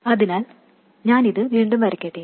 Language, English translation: Malayalam, So, let me redraw this